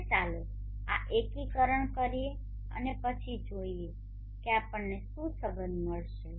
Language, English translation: Gujarati, Now let us perform this integration and then see what the relationship that we will get